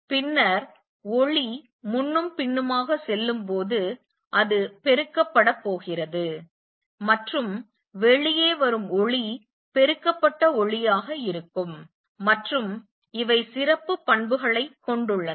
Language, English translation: Tamil, Then as light goes back and forth it is going to be amplified and the light which comes out is going to be that amplified light and these have special properties